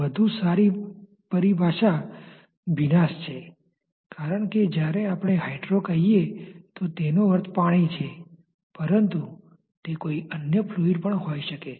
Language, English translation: Gujarati, A better terminology would be wetting because when we say hydro it means water so to say, but it may be any other fluid also